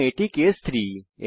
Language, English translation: Bengali, And this is case 3